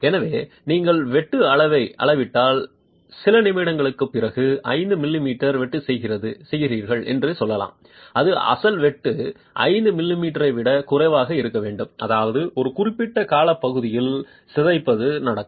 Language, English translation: Tamil, So, let's say you make a cut of 5 millimetres, after a few minutes if you measure the size of the cut it should be lesser than the 5mm of the original cut which means deformation will happen over a period of time